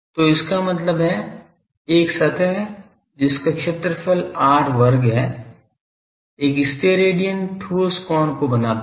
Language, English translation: Hindi, So, that means, an surface area r square subtends one Stedidian solid angle